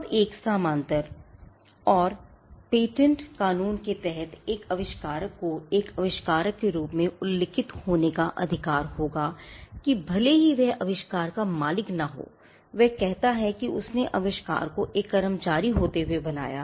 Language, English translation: Hindi, Now, a paralleled and patent law will be the right to be mentioned as the inventor, a person who is an inventor has the right to be mentioned even if he is not the owner of the invention say he created the invention being an employee